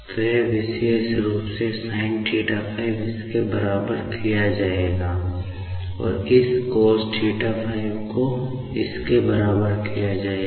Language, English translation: Hindi, So, this particular sinθ5 will be made equal to this, ok; and this cosθ5 will be made equal to this, ok